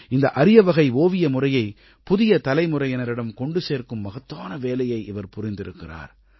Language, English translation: Tamil, He is doing a great job of extending this rare painting art form to the present generation